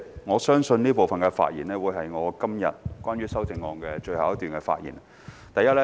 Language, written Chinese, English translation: Cantonese, 我相信這部分發言將會是我今天關於修正案的最後一段發言。, I believe this speech of mine will be my last speech on the amendments today